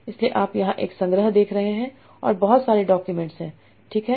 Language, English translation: Hindi, You are seeing a collection here and there are a lot of documents, right